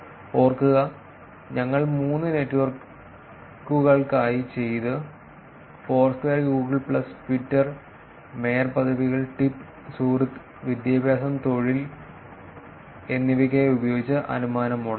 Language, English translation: Malayalam, Remember, we did for three networks Foursquare, Google plus and Twitter, the inference models that was used for mayorships, tip, like, friend all, education, employment, friend all geo tagged tweets